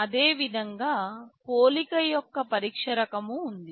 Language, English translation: Telugu, Similarly, there is test kind of a comparison